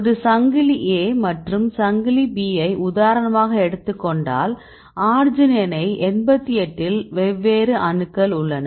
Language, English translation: Tamil, So, here this is a chain A and chain B for example, if you take the arginine 88 right